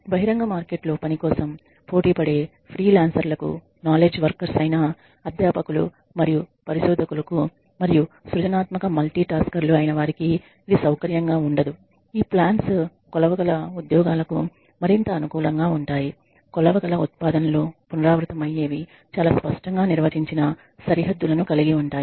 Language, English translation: Telugu, It is not comfortable for freelancers and knowledge workers like educators and researchers who compete for work in an open market and are creative multi taskers these jobs are these plans are more conducive for jobs that are measurable, that have measurable outputs that are you know that are repetitive, that are that have very clearly defined boundaries ok